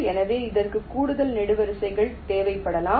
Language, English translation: Tamil, so it may require additional columns